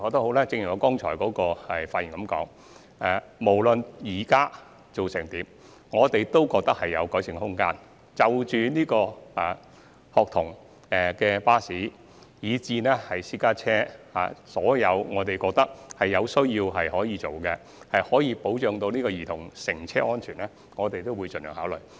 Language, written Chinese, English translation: Cantonese, 可是，正如我剛才所言，無論現時做得如何，我們認為仍有改善的空間，從校巴至私家車，所有我們認為有需要作出改善以保障兒童乘車安全之處，我們也會盡量考慮。, Yet as I have just said we think there is still room for improvement no matter how well we have done so far . Whether it be school bus or private car we will take on board as far as possible everything that needs to be done for the sake of child safety in cars